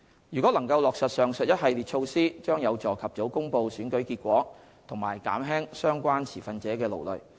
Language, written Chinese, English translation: Cantonese, 如果能落實上述一系列措施，將有助及早公布選舉結果和減輕相關持份者的勞累。, The raft of measures mentioned above if implemented would help facilitate early announcement of election results and alleviate the fatigue suffered by relevant stakeholders